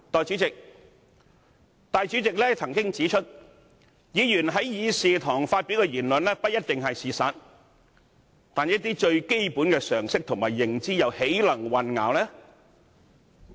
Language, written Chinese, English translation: Cantonese, 主席曾經指出，議員於議事堂發表的言論不一定是事實，但一些最基本的常識及認知又豈能混淆？, The President has once pointed out that what Members say in this Chamber is not necessarily correct but how can we confuse the public about some basic knowledge and information?